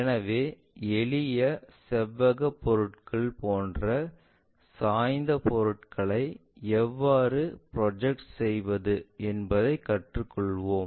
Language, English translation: Tamil, So, let us learn how to construct such kind of rotated inclined kind of objects even for the simple rectangular objects